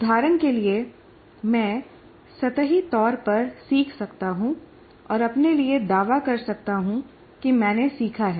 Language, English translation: Hindi, For example, I can superficially learn and claim to myself that I have learned